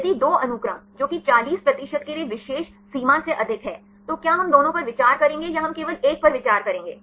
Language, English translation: Hindi, If a two sequences which are more than the particular threshold for example 40 percent right will we consider both or will we consider only 1